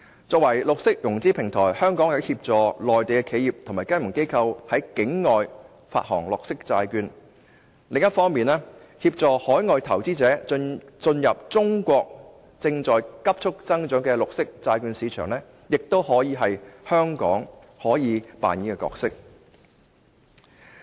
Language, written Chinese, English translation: Cantonese, 作為綠色融資平台，香港既可協助內地企業和金融機構在境外發行綠色債券，亦可協助海外投資者進入中國正在急促增長的綠色債券市場，這是香港可以扮演的角色。, As a platform of green financing Hong Kong will be able to assist Mainland enterprises and financial institutions in issuing green bonds outside the country and in addition it can also assist overseas investors in entering the rapidly growing green bonds market of the Mainland